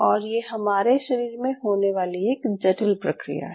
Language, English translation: Hindi, So it is a complex process which happens in your body once we are formed